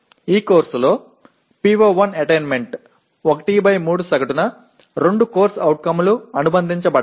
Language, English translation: Telugu, Now attainment of PO1 in this course is 1/3 into average of there are 2 COs that are associated